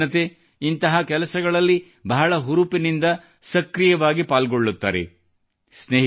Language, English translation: Kannada, Our young generation takes active part in such initiatives